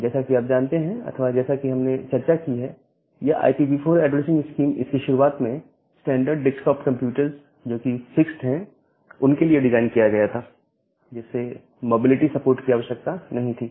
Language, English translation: Hindi, And as you know or as we have discussed that this IPv4 addressing scheme, it was initially designed for the standard desktop computers which are fixed and which does not require the mobility support